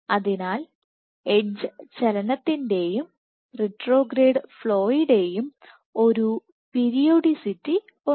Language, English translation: Malayalam, So, there is a periodicity of edge movement and retrograde flow